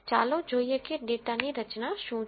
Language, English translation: Gujarati, Let us look at what is the structure of the data